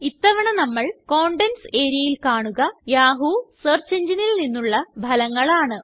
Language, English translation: Malayalam, This time we see that the results in the Contents area are from the Yahoo search engine